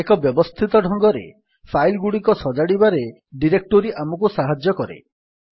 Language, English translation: Odia, A directory helps us in organizing our files in a systematic manner